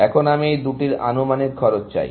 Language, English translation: Bengali, Now, I want estimated cost of these two